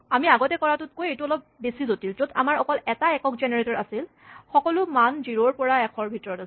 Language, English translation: Assamese, it is a little bit more complicated than the one we did before, where we only had a single generator, all the values in range 0 to 100